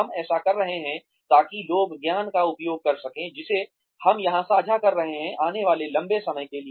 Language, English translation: Hindi, We are doing this, so that, people are able to make use of the knowledge, that we are sharing here, for a long time to come